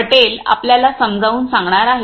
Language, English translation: Marathi, Patel is going to be explain to us